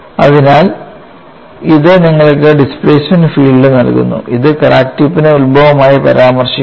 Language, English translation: Malayalam, So, this gives you the displacement field and this is referred with respect to the crack tip as the origins make a note of it with crack tip as origin